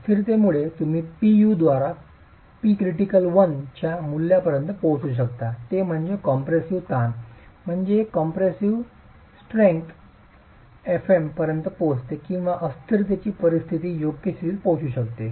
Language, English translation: Marathi, So, you could either have P critical by PU reaching a value of 1 before instability, that is the edge compressive stress reaching a compressive strength fm or you could have a situation of instability being reached